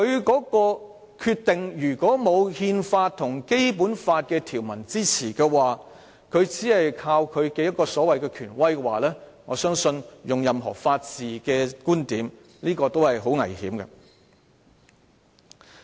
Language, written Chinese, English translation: Cantonese, 欠缺憲制理據或法律基礎，人大常委會只依靠其權威行使其權力，我相信無論以任何法治觀點來看，也是很危險的。, In the absence of a constitutional or legal basis I find it very dangerous for NPCSC to rely merely on its authority to exercise its power from whatever point of view of rule of law